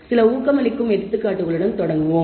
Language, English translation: Tamil, We will start with some motivating examples